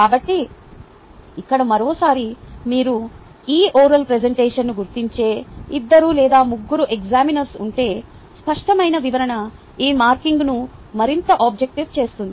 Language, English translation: Telugu, so here, once again, if you have two or three examiners marking these ah oral presentation, the clear description will make this marking more objective and the benefit which students